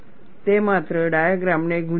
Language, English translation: Gujarati, That will only confuse the diagram